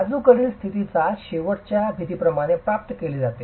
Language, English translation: Marathi, The lateral stability is achieved through the end walls